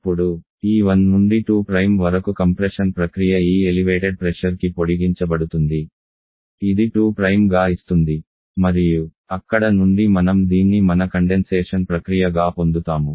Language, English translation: Telugu, Now, this 1 to 2 prime the condensation process sorry the compression process to be extended to this elevated pressure giving reasons 2 prime and then from there will be getting this as your condensation process